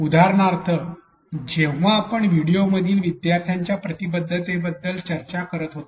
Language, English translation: Marathi, For example, when we were discussing learners engagement in videos right